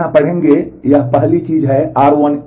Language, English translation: Hindi, You will read here this is the first thing r 1 A